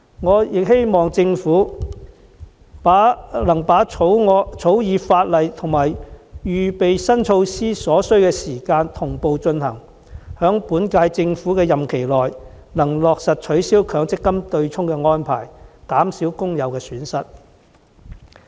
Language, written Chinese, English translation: Cantonese, 我亦希望政府能同步草擬法例和推展相關新措施的準備工作，務求在本屆政府任期內落實取消強積金對沖安排，減少工友的損失。, I also hope that the Government will concurrently draft legislation and take forward the preparatory work for the relevant new measures with a view to effecting the abolishment of the MPF offsetting arrangement within the current term of the Government and minimizing the losses of workers